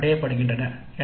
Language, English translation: Tamil, O's and PSOs are attained